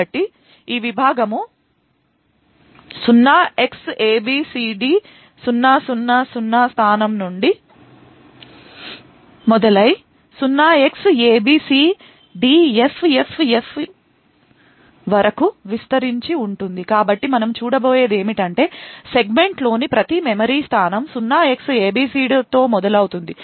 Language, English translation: Telugu, So this segment starts at the location 0Xabcd0000 and extends up to 0Xabcdffff, so what we would see is that every memory location within the segment starts with 0Xabcd